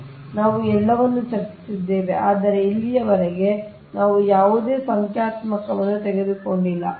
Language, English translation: Kannada, so we have discussed all the, but so far we have not taken any numericals right